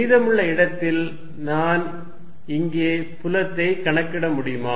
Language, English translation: Tamil, Can I calculate the field in the rest of the space